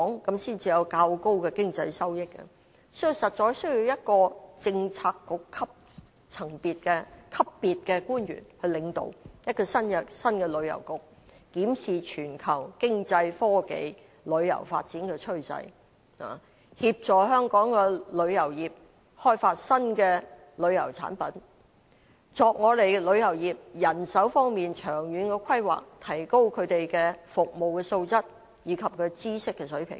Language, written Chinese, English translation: Cantonese, 這樣才會有較高的經濟收益，所以實在需要由一位政策局級別的官員領導一個新的旅遊局，檢視全球經濟、科技、旅遊發展的趨勢，協助香港的旅遊業開發新的旅遊產品，為旅遊業的人手方面作長遠的規劃，提高他們的服務素質及知識水平。, As these efforts will bring higher economic returns we really need an official at bureau level to head a new Tourism Bureau to examine the global economic technological and tourism trends and assist the tourism industry of Hong Kong to develop new tourism products make long - term manpower planning for the tourism industry and enhance the quality of service and knowledge of members of the industry